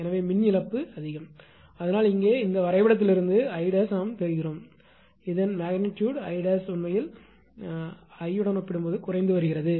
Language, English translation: Tamil, So, power loss is high, but here from this diagram we can make out I dash; if you take it is magnitude I dash actually compared to this I is decreasing